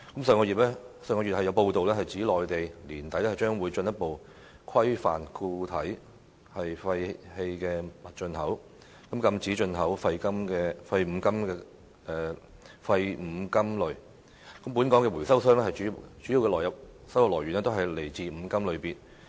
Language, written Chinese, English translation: Cantonese, 上月有報道指，內地於年底將進一步規範固體廢棄物進口，禁止進口廢五金類，但本港回收商的主要收入來源來自五金類別。, As reported last month the Mainland will further regulate the import of solid waste at the end of this year and ban the import of scrap metal . But scrap metal is the major source of income for local recycling operators